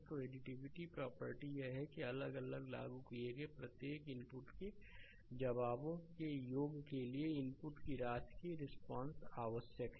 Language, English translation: Hindi, So, additivity property is it requires that the response to a sum of inputs to the sum of the responses to each inputs applied separately